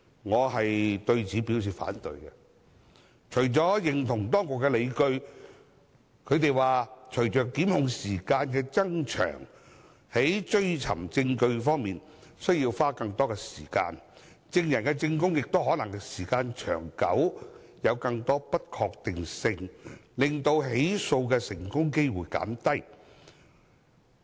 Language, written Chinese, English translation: Cantonese, 我對此表示反對，並認同當局的理據，即隨着檢控的法定時效限制增長，在追尋證據方面需要花更多時間，證人的證供亦可能因時間久遠有更多不確定性，令成功起訴的機會減低。, I oppose it and subscribe to the reasons given by the authorities ie . if the statutory time limit for prosecution is prolonged more time will be required for collecting evidence while the statements given by witnesses may become more uncertain due to the lengthy period thus reducing the chance of successful prosecution